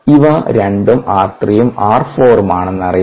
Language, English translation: Malayalam, therefore, r not equals r three and r four